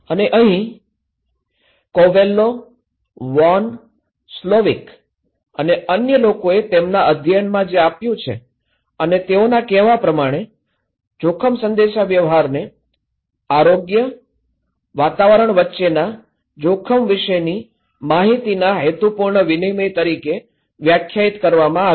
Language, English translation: Gujarati, And here, we took that was given by Covello, Von, Slovic and others in their study and they are saying that risk communication is defined as any purposeful exchange of information about health, environmental risk between interested parties